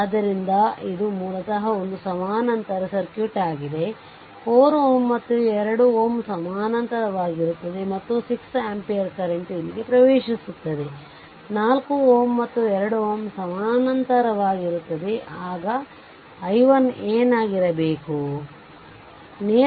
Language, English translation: Kannada, So, this is basically a parallel circuit, this 4 ohm and this 2 ohm there are in parallel right and 6 ampere current is entering here this 4 ohm and 2 ohm are in parallel, then what will be then if current division method what will be i 3